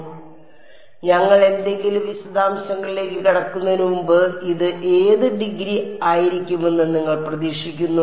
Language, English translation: Malayalam, So, before we you get into any details what degree do you expect this to be